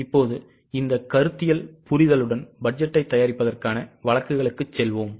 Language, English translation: Tamil, Now with this much of conceptual understanding, let us go for cases for preparation of budgets